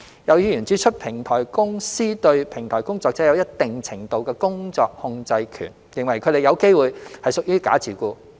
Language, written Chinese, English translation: Cantonese, 有議員指出，平台公司對平台工作者有一定程度的工作控制權，認為他們有機會是屬於假自僱。, Some Members have pointed out that platform companies have a certain degree of control over the work of platform workers and considered that there was the possibility of false self - employment